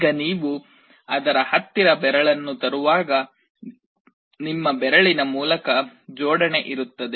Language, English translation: Kannada, Now when you are bringing a finger near to it, there will be a coupling through your finger